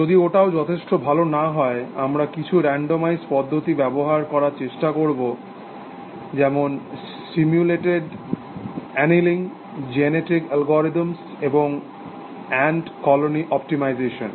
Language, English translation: Bengali, We will find that even that is not going to be good enough, so we will try some randomized approaches like simulated annealing, genetic algorithms, and ant colony optimization